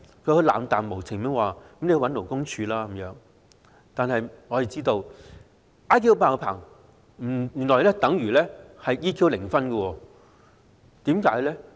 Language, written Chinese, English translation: Cantonese, 他冷漠無情地叫她向勞工處求助，令我們知道他 "IQ 爆棚"，但原來 "EQ 零分"，為甚麼？, He told her to seek help from the Labour Department LD in an indifferent manner and we then realized that he had an extraordinarily high IQ but an extremely low EQ . Why?